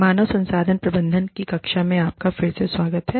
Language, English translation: Hindi, Welcome back, to the class on, Human Resource Management